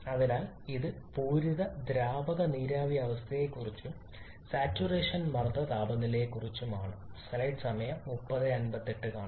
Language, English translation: Malayalam, So this is about does saturated liquid and vapor state and a saturation pressure temperature